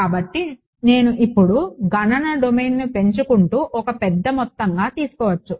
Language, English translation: Telugu, So, if I now make the computational domain larger and larger right